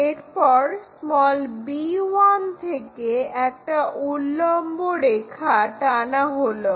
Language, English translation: Bengali, Once it is drawn draw a vertical line from b 1